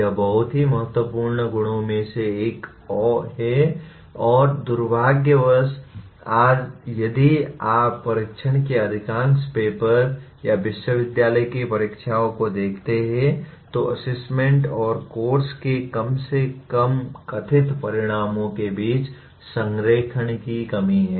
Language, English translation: Hindi, This is one of the very important properties and unfortunately today if you look at majority of the test papers or the university exams, there is a total lack of alignment between the assessment and at least perceived outcomes of the course